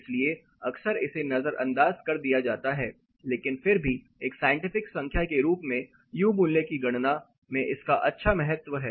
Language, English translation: Hindi, So, often it is ignored, but still as a scientific number this has good amount of significance in the calculation of U value